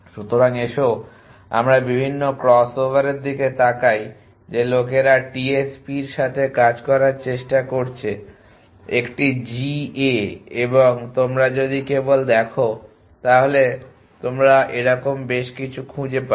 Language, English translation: Bengali, So, let us look at the various cross over that people have tried working with TSP is a GAs and if you just look of the were will find quite of your